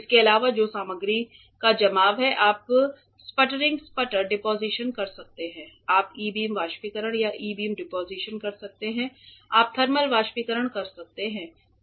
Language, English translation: Hindi, For addition which is the deposition of material you can do sputtering sputter deposition, you can do E beam evaporation or e beam deposition you can do thermal evaporation